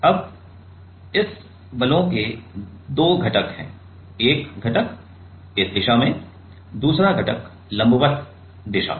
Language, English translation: Hindi, Now, this force has two components, one component; one component in this direction, another component in the perpendicular direction right